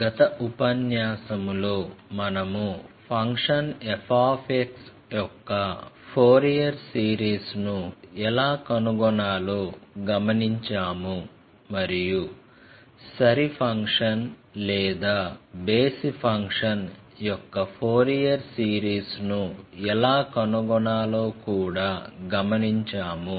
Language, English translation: Telugu, So, in the last lecture we have observed that, how to find out the Fourier series of a function, and also how to find out the Fourier series of an even function or of an odd function